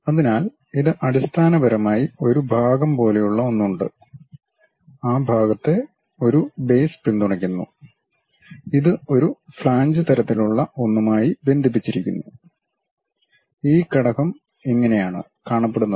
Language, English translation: Malayalam, So, this basically, there is something like a part and that part is supported by a base and this is connected by a flange kind of thing, this is the way that element really looks like